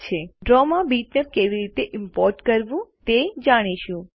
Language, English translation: Gujarati, Now lets learn how to import a bitmap into Draw